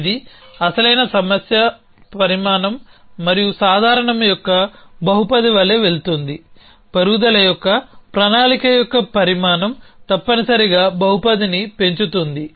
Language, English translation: Telugu, It is going as a polynomial of the original problem size and general, the size of the planning of grows increases polynomial essentially